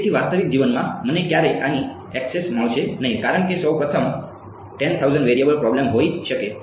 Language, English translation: Gujarati, So, in real life I will never have access to this because first of all it will be a may be a 10000 variable problem